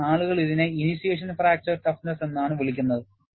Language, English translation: Malayalam, So, people call this as initiation fracture toughness